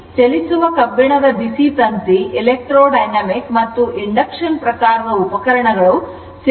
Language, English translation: Kannada, It is the average value moving iron hot wire electro dynamic and induction you are what you call type instruments read the rms value of the signal right